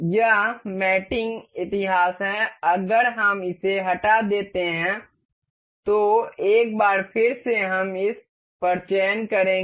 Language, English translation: Hindi, This is the mate history if we remove this, once again mate we will select on this one